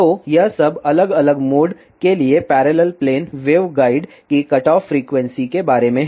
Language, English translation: Hindi, So, this is all about the cutoff frequency of parallel plane waveguide for different modes